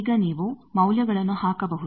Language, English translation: Kannada, Now, you can put it the values